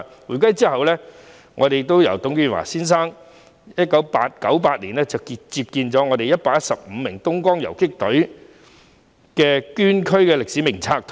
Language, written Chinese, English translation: Cantonese, 回歸後，董建華先生在1998年安放了115名東江縱隊港九大隊捐軀烈士的名冊。, After the handover Mr TUNG Chee - hwa included the names of 115 members of the Hong Kong Independent Battalion of the Dongjiang Column killed in action during the War in the Roll of Honour in 1998